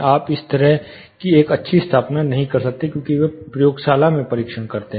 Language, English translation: Hindi, You cannot do such a fine installation, like they do a testing in the laboratory